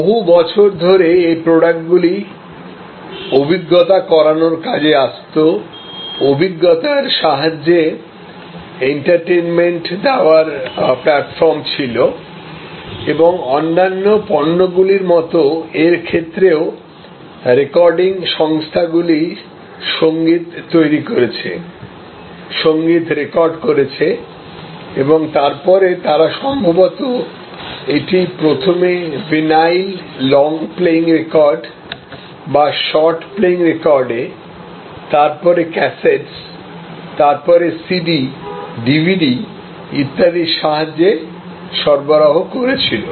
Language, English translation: Bengali, For, many years these products were elements of experience delivery, were platforms for entertainment in experience delivery and like other products it had a, you know the recording companies created the music, recorded the music and then they delivered it on maybe initially on vinyl long playing or short playing records, then cassettes, then CD's, DVD's and so on